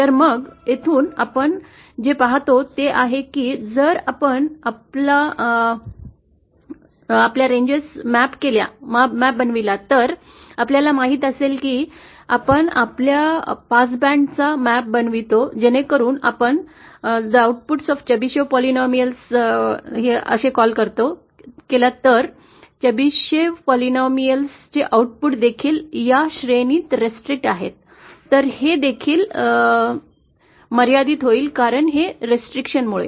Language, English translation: Marathi, So then from here what we can see is that if we map our range you know that if we map our pass band as we call into this range then the output of Chebyshev polynomials since that is also restricted, then that also will be limited because of this restriction